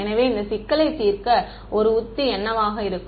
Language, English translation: Tamil, So, what can be a strategy to solve this problem